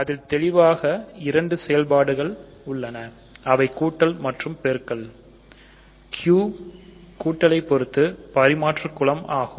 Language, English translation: Tamil, So, clearly it has two operations it has plus and multiplication, Q under addition is an abelian group right